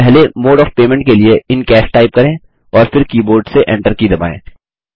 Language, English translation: Hindi, Lets type the first mode of payment as In Cash, and then press the Enter key from the keyboard